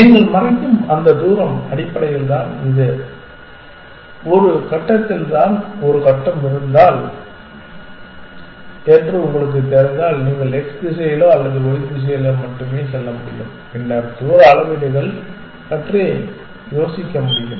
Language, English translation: Tamil, That distance that you cover would be basically this that if you know if you had if a grid on a grid you can only move along the x direction or on the y direction and then other distance measures that one can think of